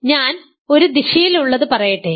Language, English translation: Malayalam, So, let me say one direction